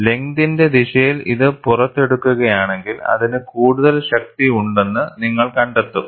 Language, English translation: Malayalam, If it is extruded along the length direction, you will find it will have more strength